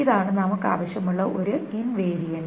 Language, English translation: Malayalam, This is the one invariant that we require